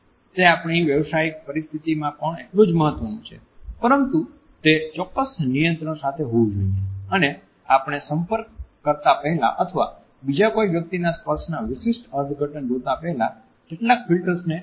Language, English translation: Gujarati, It is equally important in our professional settings but it should come with certain moderators and we should be aware of certain filters before either extending our touch to other human beings or before looking at a particular interpretation of the touch of another human being